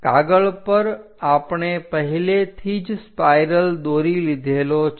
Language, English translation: Gujarati, On sheet, we have already drawn a spiral